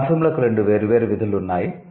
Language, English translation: Telugu, So, these morphems, they have two different functions